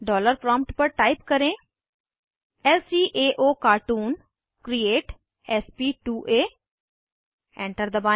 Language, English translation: Hindi, At the dollar prompt, type lcaocartoon create sp2a , press Enter